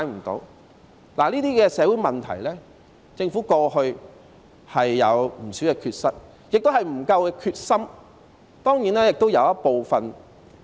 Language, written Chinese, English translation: Cantonese, 對於這些社會問題，政府過去有不少缺失，亦未有決心解決。, With regard to these social problems the Government has made quite a lot of mistakes before and it does not have the resolve to find solutions to the problems